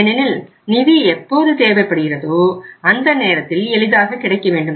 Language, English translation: Tamil, Because funds are most useful at that time when they are required and they are easily available